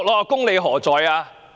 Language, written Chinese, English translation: Cantonese, 公理何在？, Where is justice?!